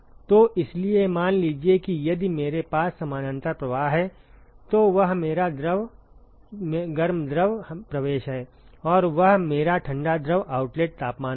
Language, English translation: Hindi, So, therefore supposing if I have a parallel flow, so that is my hot fluid inlet and that will be my cold fluid outlet temperature